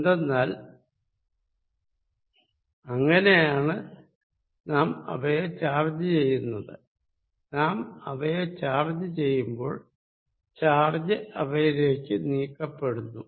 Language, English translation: Malayalam, Because, that is how we charge them, when we charge them charged moved on to them